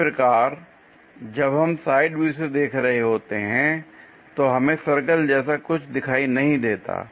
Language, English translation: Hindi, Similarly, when we are looking from side view here we do not see anything like circle